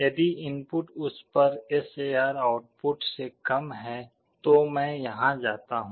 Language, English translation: Hindi, If the if the input is less than that the SAR output; then I go here